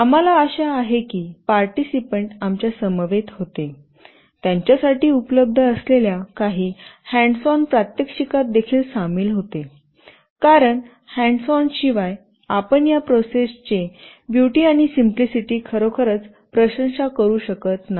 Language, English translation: Marathi, We hope that the participants were with us, they were also involved in actual hands on demonstration with some of the boards that were available to them, because without hands on sessions, you really cannot appreciate the beauty and simplicity of this process